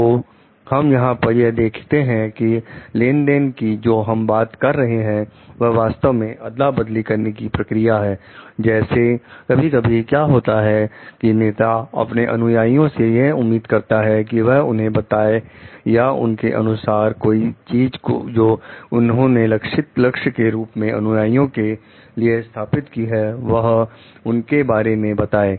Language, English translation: Hindi, So, what we see over here like, when you are talking of transaction it is a like exchange process like the sometimes what happens leaders are expecting followers to tell you or something according to their like the goals that they have set for the followers